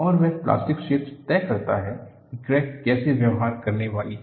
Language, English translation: Hindi, And, that plastic zone dictates how the crack is going to behave